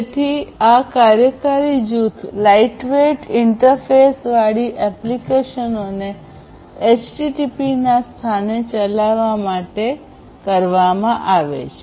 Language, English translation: Gujarati, So, this particular working group has come up with this core to enable applications with lightweight interface to be run in place of HTTP